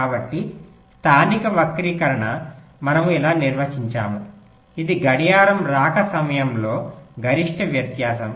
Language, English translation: Telugu, so local skew we define like this: this is the maximum difference in the clock, clock arrival time